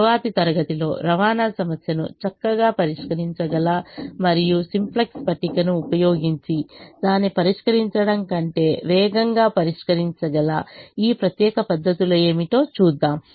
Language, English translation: Telugu, in the next class we will look at what are these special methods which can solve the transportation problem nicely and solve it fast, faster than perhaps solving it using the simplex table